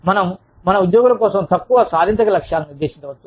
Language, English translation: Telugu, We can set, shorter achievable goals, for our employees